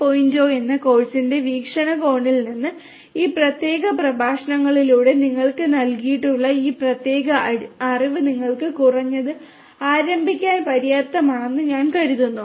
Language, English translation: Malayalam, 0, I think this particular knowledge that you have been provided through this particular lecture this will be sufficient for you at least to start with